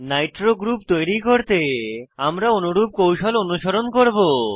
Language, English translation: Bengali, We will follow a similar strategy to create a nitro group